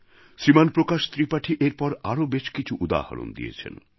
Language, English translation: Bengali, Shriman Prakash Tripathi has further cited some examples